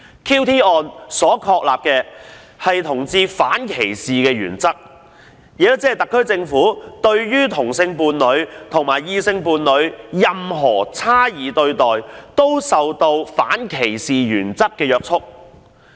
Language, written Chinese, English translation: Cantonese, QT 案確立了反歧視同志的原則，特區政府對同性伴侶和異性伴侶的差異對待均受反歧視原則約束。, The judgment on the QT case establishes the principle of forbidding discrimination against homosexuals and the SAR Governments differential treatment for same - sex partners and heterosexual couples is likewise subject to this anti - discrimination principle